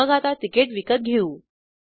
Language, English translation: Marathi, So let us buy a ticket now